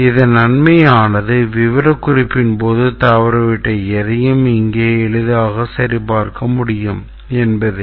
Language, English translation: Tamil, It has the advantage that if anything missed during specification can be easily checked here